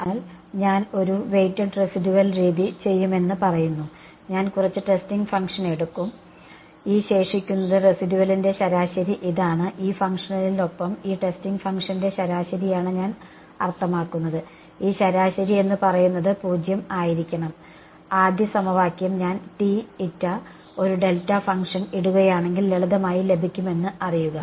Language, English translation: Malayalam, So, I say I will do a weighted residual method, I take some testing function and the this the average of this residual I mean the average of this testing function with this functional, this average should be 0 instead of saying and instead of making you know the first equation is simply obtained if I put T m to be a delta function